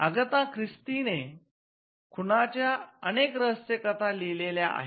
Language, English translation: Marathi, So, Agatha Christie is known to have written many murder mysteries